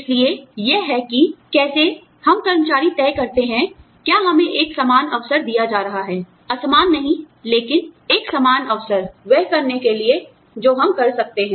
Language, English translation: Hindi, So, that is how, we as employees decide, whether we are being given an equal opportunity, not unequal, but, an equal opportunity to do, whatever we can do